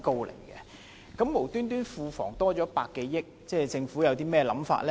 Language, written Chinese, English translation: Cantonese, 庫房無緣無故增加百多億元，政府有甚麼打算呢？, The Treasury has an additional 10 billion for no reason . What does the Government plan to do?